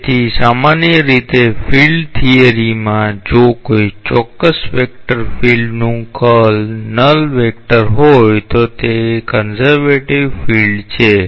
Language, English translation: Gujarati, So, in general in field theory if the curl of a particular vector field is a null vector, that field is a conservative field